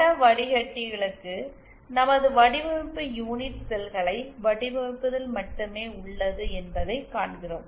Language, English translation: Tamil, And for image filters we see this that our design is limited to just designing the unit cells